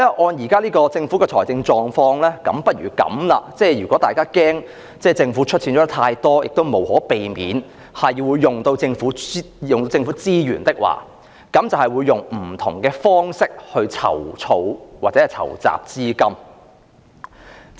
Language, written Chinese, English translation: Cantonese, 按照政府現時的財政狀況，如果大家害怕政府出資太多，亦無可避免會動用政府資源，那麼不如以不同方式籌措或籌集資金。, In view of the Governments financial situation at present if the public are worried that the Government will make too much contribution and resources of the Government will be utilized inevitably we had better raise or solicit funds through different ways